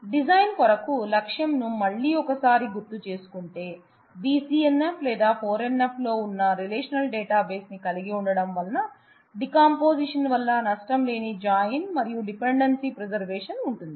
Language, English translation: Telugu, So, again to remind you the goal for our design is to have a relational database which is in BCNF or 3 NF has a lossless join due to the decomposition, and dependency preservation